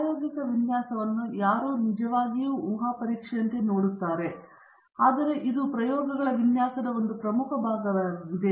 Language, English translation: Kannada, Nobody really looks at design of experiments as a hypothesis testing, but this is a very important part of design of experiments